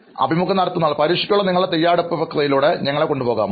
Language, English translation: Malayalam, Can you just take us through the process of your preparation for exam